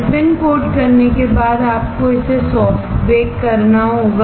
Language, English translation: Hindi, After spin coating the photoresist you have to soft bake the same